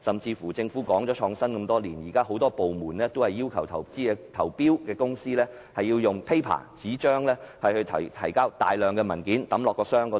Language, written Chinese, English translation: Cantonese, 此外，政府推動創新多年，但現時很多部門仍然要求參與投標的公司用紙張提交大量文件，投入投標箱。, In addition while the Government has been promoting innovation for many years many departments still require bidding companies to submit large quantities of paper documents